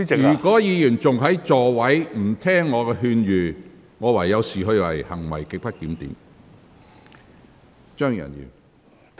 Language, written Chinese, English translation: Cantonese, 如果議員繼續在席上說話，不聽我的勸諭，我會視之為行為極不檢點。, If Members continue to speak from their seats and ignore my advice I will regard such behaviour as grossly disorderly